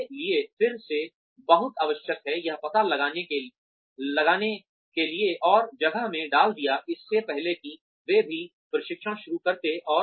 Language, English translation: Hindi, That is again very essential for us, to find out, and put in place, before they even start the training